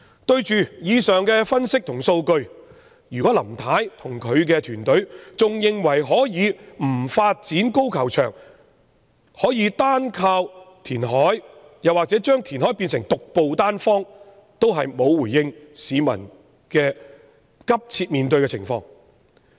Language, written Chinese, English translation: Cantonese, 對於以上分析和數據，如果林太與其團隊仍然認為可以不發展高球場，而能單靠填海或把填海變成獨步單方，就是未能回應市民面對的迫切情況。, In view of the aforesaid analysis and data if Mrs LAM and her team still think that they can skip the development of the golf course and rely solely on reclamation or treating it as a panacea they are being unresponsive to the pressing situation faced by members of the public